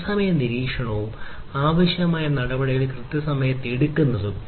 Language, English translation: Malayalam, Real time monitoring and taking required action on time